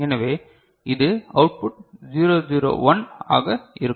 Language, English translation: Tamil, So, these output will be 0